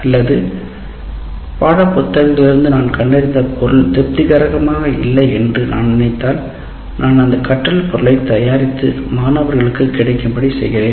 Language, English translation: Tamil, Or if I think that none of the material that I find in the textbooks is satisfactory, I prepare the material and make it available to the student